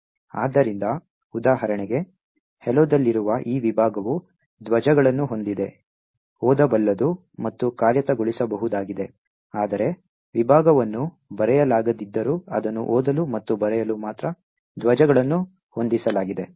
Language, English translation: Kannada, So, for example this particular segment, which is present in hello has the, is readable, writable and executable while they segment cannot be written to, it is only read and write flags are set